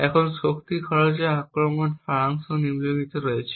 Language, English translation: Bengali, Now the essence of power consumption attacks is the following